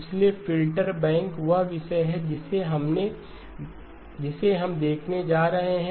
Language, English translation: Hindi, So filter banks is the topic that we are going to be looking at